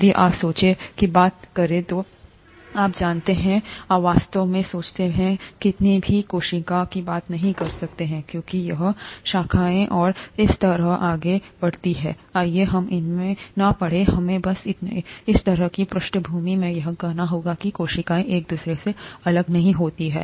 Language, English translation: Hindi, If you talk of mould, you know, you cannot really talk of a single cell in the mould because it branches and so on so forth, let’s not get into that, we just need to, kind of, have this in the background saying that the cells are not separated from each other